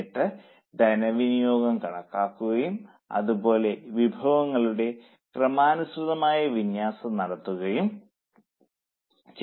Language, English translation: Malayalam, Then budgeting is done so that a systematic allocation of resources can be done